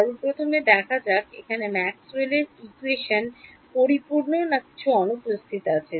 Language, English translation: Bengali, So, there is a j term first of all this Maxwell’s equation is a complete or there is something missing in it